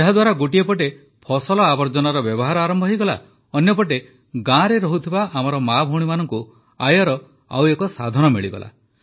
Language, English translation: Odia, Through this, the utilization of crop waste started, on the other hand our sisters and daughters living in the village acquired another source of income